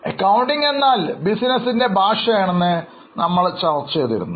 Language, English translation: Malayalam, If you remember, we discuss that accounting is a language of business